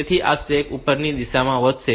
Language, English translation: Gujarati, So, this stack will grow in a upward in the upward direction